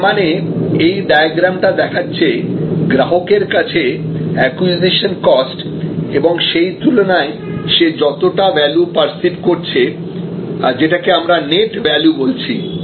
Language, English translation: Bengali, So, this is the diagram that is the cost of acquisition in the mind of the customer verses the value perceived by the customer, this is what we mean by net value